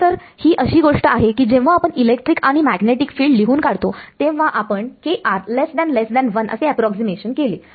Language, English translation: Marathi, So, actually the thing is that when we wrote down these electric and magnetic fields we made the approximation kr much much less than 1